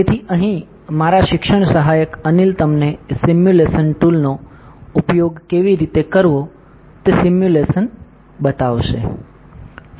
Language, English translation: Gujarati, So, here my teaching assistant Anil will show it to you the simulation how to use simulation tool